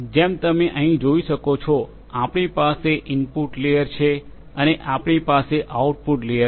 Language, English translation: Gujarati, As you can see here, you have an input layer and you have an output layer